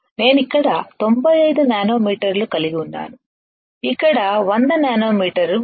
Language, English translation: Telugu, I have here 95 nanometer I have here 100 nanometer